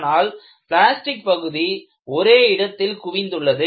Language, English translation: Tamil, But, the plastic zone is very highly localized